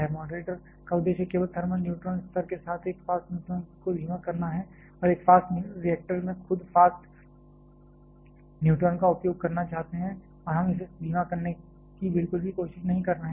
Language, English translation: Hindi, The purpose of moderator is just to slow down a fast neutron with the thermal neutron level and in a fast reactor we are looking to utilize the fast neutron itself and we are not at all trying to slow it down